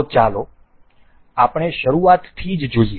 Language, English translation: Gujarati, So, let us begin from the start